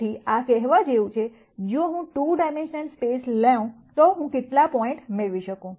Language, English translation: Gujarati, So, this is like saying, if I take a 2 dimensional space how many points can I get